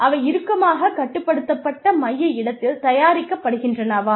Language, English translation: Tamil, Are they made in a tightly controlled central location